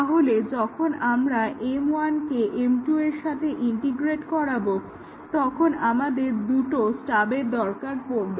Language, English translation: Bengali, So, when we integrate M 1 with M 2, we need two stubs